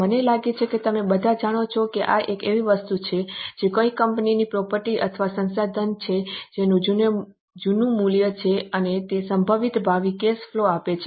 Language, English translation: Gujarati, I think you all know this is something which is a property or a resource of a company which has a value and it is likely to give some probable future cash flow